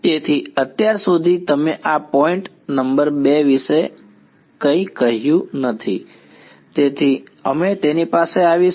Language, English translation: Gujarati, So, far we have not said anything about this point number 2 ok, so, we will come to it